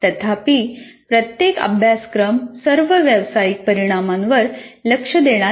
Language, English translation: Marathi, Not every course will address all these professional outcomes, at least some of them